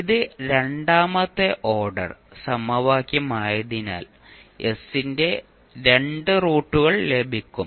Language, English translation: Malayalam, So since it is a second order equation you will get two roots of s